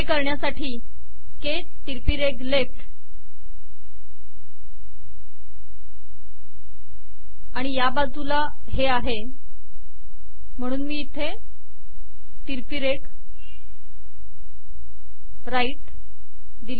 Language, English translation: Marathi, The way to do this is – K slash left and on this side I have this, so here I put slash right